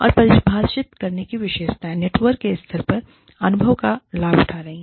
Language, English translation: Hindi, And, the defining characteristics are, leveraging experience at the level of the network